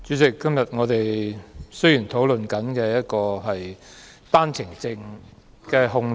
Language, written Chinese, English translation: Cantonese, 主席，我們今天討論的是單程證人口的控制。, President the subject under discussion today is how to control the number of One - way Permit OWP entrants